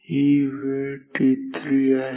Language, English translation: Marathi, So, this is t 5